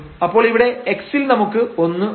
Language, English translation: Malayalam, So, here in x we have 1 and then we have 2 there